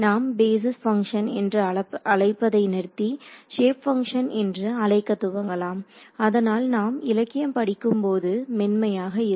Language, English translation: Tamil, So, we will stop calling them basis functions now we will we start calling them shape functions so that when you read the literature it is smooth right